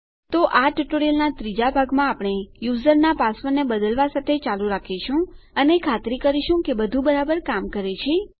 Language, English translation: Gujarati, So in the 3rd part of this tutorial, we will continue with updating the users password and just making sure everythings working properly